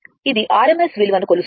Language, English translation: Telugu, It will measure this called rms value